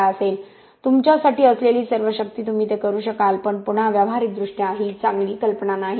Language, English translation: Marathi, 12 all power to you you might be able to do that but again practically it is not a great idea